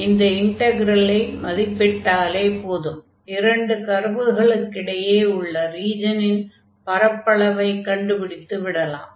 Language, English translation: Tamil, So, we need to compute simply this integral now, which will give us the area of the region enclosed by these two curves